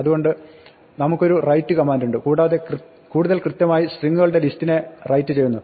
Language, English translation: Malayalam, So, we have a write command in a writelines and writelines are more correctly to be interpreters write list of strings